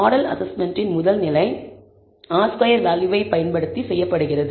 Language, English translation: Tamil, So, the first level of model assessment is done using the R squared value